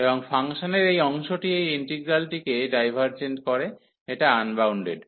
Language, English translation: Bengali, And this part of this function is making this integral divergent this unbounded